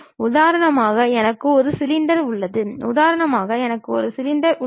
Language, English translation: Tamil, For example, I have a cylinder, let for example, I have a cylinder